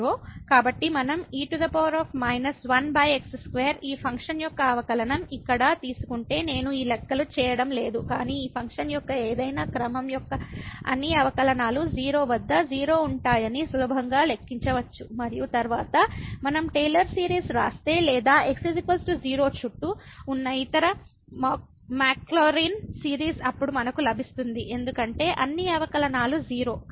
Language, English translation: Telugu, So, if we take the derivative of this function here power minus one over square which I am not doing this calculations, but one can easily compute at all the derivations of any order of this function at 0 will be 0 and then we if we write the Taylor series or other Maclaurin series around is equal to 0 then we will get because all the derivative are 0